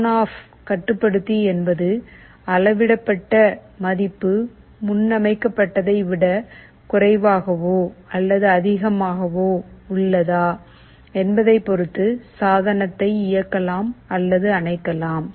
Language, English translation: Tamil, ON OFF controller means we either turn on or turn off the device depending on whether the measured value is less than or greater than the preset